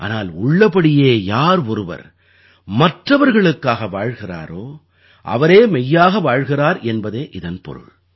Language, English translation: Tamil, But in actuality only the person who exists for the sake of others really lives